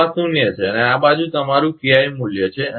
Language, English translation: Gujarati, So, this is zero and this side is your KI value